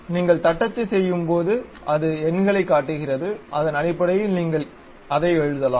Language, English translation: Tamil, So, when you are typing it it shows the numbers, based on that you can really write it